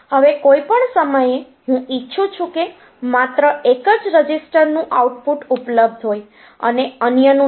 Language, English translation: Gujarati, Now at any point of time I may want that output of only one register be available and others are not